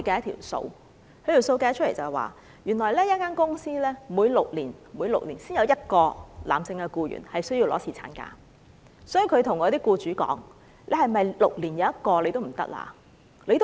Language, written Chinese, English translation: Cantonese, 他說他們統計過，原來一間公司每6年才有1個男性僱員需要放取侍產假，所以，他向僱主說："是否6年1個也不行？, He replied that according to their statistics it was only once in every six years when a company would have one male employee going on paternity leave . So he asked the employers Is such frequency still unacceptable?